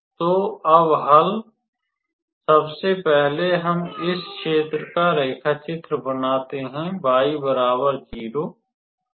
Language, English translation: Hindi, So, now, solution; first of all, let us draw this region; the y x 0